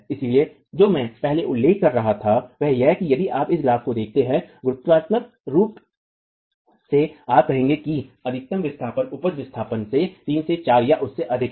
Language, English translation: Hindi, So, what I was mentioning earlier is that if you look at this graph, qualitatively you will say that the maximum displacement is 3 to 4 or even more than the eel displacement